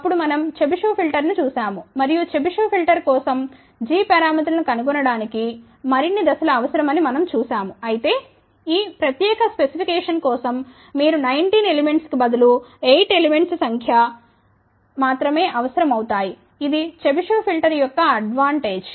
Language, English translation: Telugu, Then we looked at the Chebyshev filter and for Chebyshev filter we saw that the finding g parameters required more steps, but however, Chebyshev filter as an advantage that for this particular specification given here you would require only 8 number of elements compare to 19 element